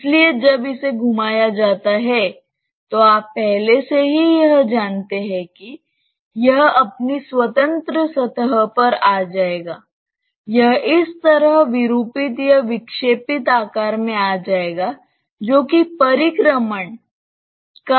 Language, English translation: Hindi, So, when it is rotated, you already know it that it will come to its free surface we will come to a deformed or deflected shape like this which is a paraboloid of revolution